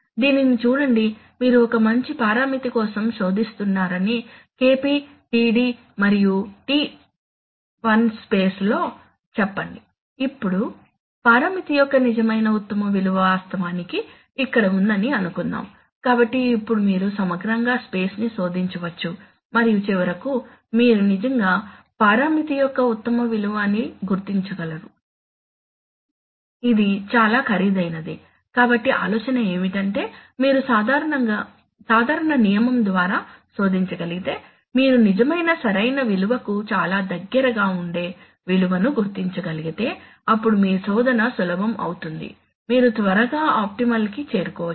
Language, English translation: Telugu, Look at this, that you are looking for you are searching for some good parameter let us say in the let us say in the KP td and TI space right, now suppose they the real best value of parameter actually lies here, so now you have to you can exhaustively search the space and maybe finally you will actually locate that, that is the best value of parameter which is very expensive, so the idea is that if you can, if you can search if you can by some simple rule if you can locate a value which is actually which is likely to be very close to the real true optimal value then you, then your search becomes easier you actually quickly converge on, you actually quickly converge on, you can quickly converge on to the optimal